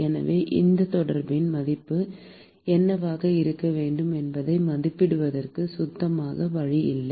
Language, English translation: Tamil, So, there is no clean way to estimate what should be the value of this contact